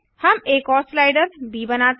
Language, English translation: Hindi, We make another slider b